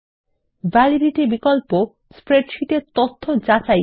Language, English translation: Bengali, The Validity option validates data in the spreadsheet